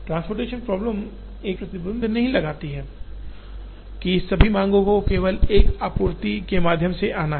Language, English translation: Hindi, Transportation problem does not put an explicit restriction that all the demands have to come through only one supply